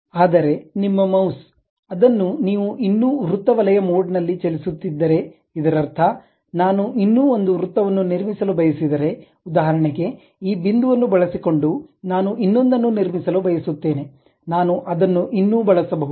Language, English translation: Kannada, But still your mouse, if you are moving is still in the circle mode, that means, if I would like to construct one more circle, for example, using this point I would like to construct one more, I can still use it